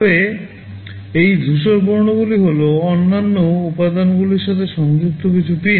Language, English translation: Bengali, But, these gray colors ones are some pins connected to other components